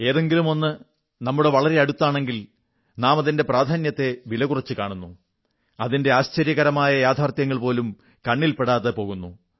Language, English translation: Malayalam, When something is in close proximity of us, we tend to underestimate its importance; we ignore even amazing facts about it